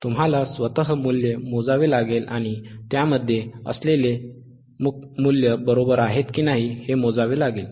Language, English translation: Marathi, You are to calculate by yourself and calculates whether the values that is there are correct or not